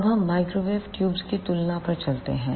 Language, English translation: Hindi, Now, let us move onto the comparison of microwave tubes